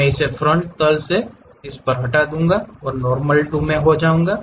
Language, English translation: Hindi, I will delete this on the frontal plane Normal To I will go